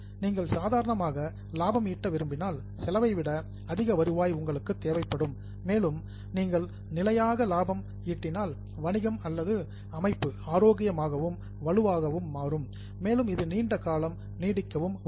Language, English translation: Tamil, It your cost and revenue now if you want to be profitable normally you will need more revenues than the cost and if you are consistently profitable the business or the organization will become healthy and strong and it will also help you to last longer